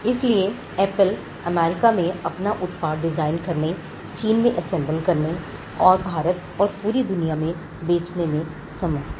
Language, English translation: Hindi, So, Apple is able to design the product in US; assemble it in China; sell it in India and across the world